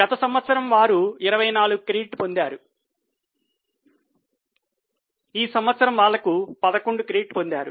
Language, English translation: Telugu, That last year they have got credit of 24 this year they have got credit of 11, no major change